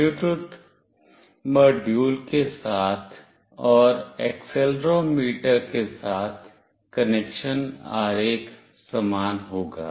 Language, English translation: Hindi, The connection diagram with Bluetooth module, and with accelerometer will be the same